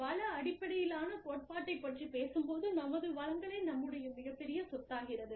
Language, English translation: Tamil, When we talk about, resource based theory, we say, our resources are our biggest assets